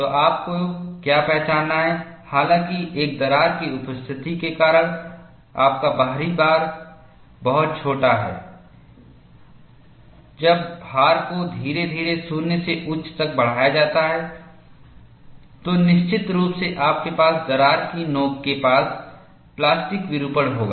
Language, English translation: Hindi, So, what you have to recognize is, even though your external loading is much smaller, because of the presence of a crack, when the load is increased gradually from to 0 to peak, invariably, you will have plastic deformation near the crack tip